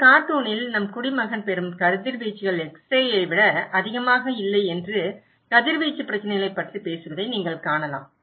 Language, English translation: Tamil, In this cartoon, you can look that talking about the radiation issues that whatever radiations our citizen are getting is no more than an x ray